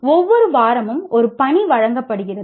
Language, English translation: Tamil, And an assignment every week